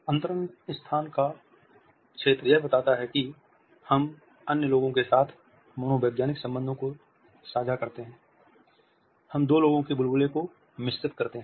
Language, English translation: Hindi, The intimate space or zone suggest that, we share the psychological bonding with other people, we are mixing the bubbles of two people